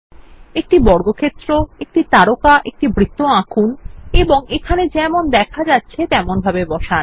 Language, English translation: Bengali, Draw a circle a square and a star and place them as showm below